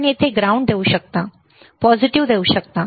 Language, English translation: Marathi, You can give the ground here, positive here and so forth